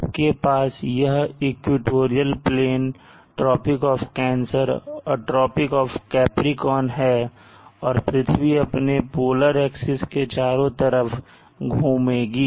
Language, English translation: Hindi, Now the earth a bit enlarged is like this you have the equatorial plane this is the tropic of cancer and the tropic of Capricorn the earth will rotate about its polar axes